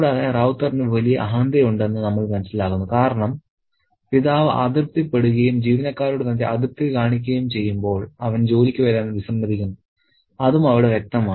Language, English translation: Malayalam, And we also understand that Rauta has a massive ego because if the father is displeased and shows his displeasure to the employee, he refuses to come to work